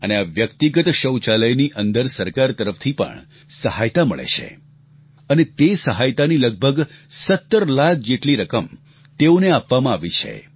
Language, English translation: Gujarati, Now, to construct these household toilets, the government gives financial assistance, under which, they were provided a sum of 17 lakh rupees